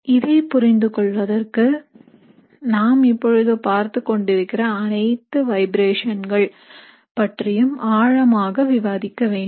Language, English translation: Tamil, So to understand that, we need to take a deeper look into all the vibrations we are talking about